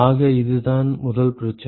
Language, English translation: Tamil, So, this is the first problem